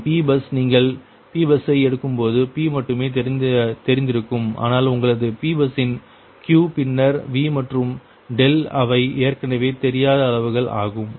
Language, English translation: Tamil, and p bus: when you take the p bus, that is, only p is known, right, but your q, then v and delta of the p bus, they are actually unknown quantities, right